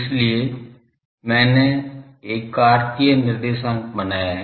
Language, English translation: Hindi, So, I have drawn a Cartesian coordinate